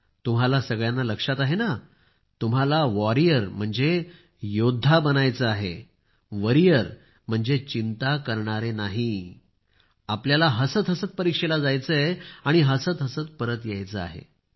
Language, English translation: Marathi, Do all of you remember You have to become a warrior not a worrier, go gleefully for the examination and come back with a smile